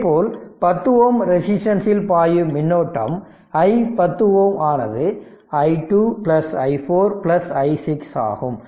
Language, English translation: Tamil, Now, i that current flowing through 5 ohm resistance that is i 5 ohm we are writing; i 1 plus i 3 plus i 5